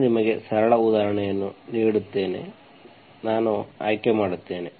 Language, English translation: Kannada, I will give you simple example let me choose